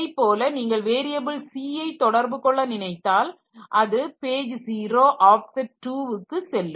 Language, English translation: Tamil, Similarly if it is trying to access the variable C then it will it will see that okay this is page number 0 and the offset is 2